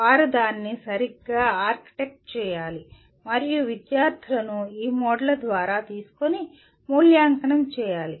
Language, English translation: Telugu, They have to properly orchestrate it and kind of the students have to be taken through all these modes and evaluated